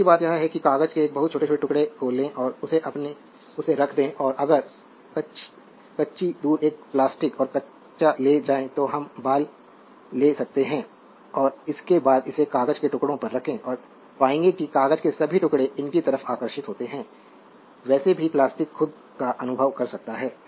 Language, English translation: Hindi, Other thing is that you take a very small pieces of paper and keep it and if you raw away take a plastic and raw we can your hair and just after that you hold it on the piece of paper you will find that all piece of papers are attracted towards their what you call towards that your that plastic right you can experience of your own so, anyway